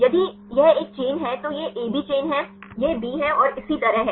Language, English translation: Hindi, If it is a chain it is A B chain it is B and so on